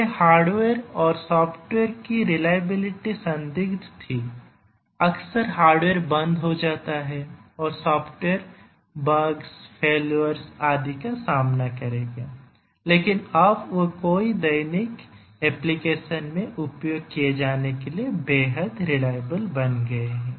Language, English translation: Hindi, Earlier the hardware and software reliability was questionable, often the hardware will shut down the software will encounter bugs, failures and so on, but now they have become extremely reliable for them to be used in many many daily applications